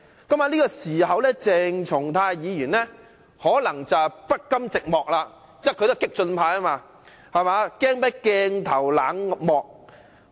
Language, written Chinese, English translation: Cantonese, 就在那個時候，鄭松泰議員可能不甘寂寞，因為他是激進派，害怕鏡頭冷落他。, It was at that time that Dr CHENG Chung - tai might have been unwilling to be left out in the cold . As he is a member of the radical camp he was afraid that he would be left out of the limelight